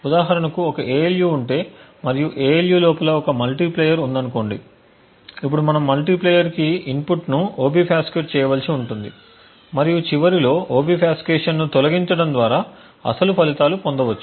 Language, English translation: Telugu, For example, if there is an ALU and within the ALU there is let us say a multiplier now we would require to obfuscate the inputs to the multiplier and remove the obfuscation at the, after the end so that the original results are obtained